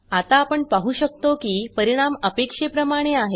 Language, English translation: Marathi, Now we can see that the result is as expected